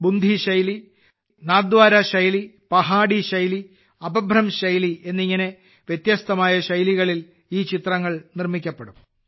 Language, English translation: Malayalam, These paintings will be made in many distinctive styles such as the Bundi style, Nathdwara style, Pahari style and Apabhramsh style